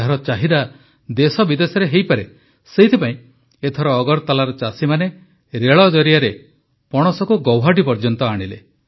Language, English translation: Odia, Anticipating their demand in the country and abroad, this time the jackfruit of farmers of Agartala was brought to Guwahati by rail